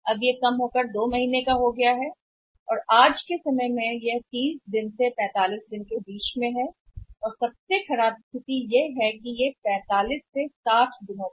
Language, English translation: Hindi, It has come down it came down to 2 months and now the current credit period is somewhere between 30 days to 45 days and in worst case scenario it can be 45 to 60 days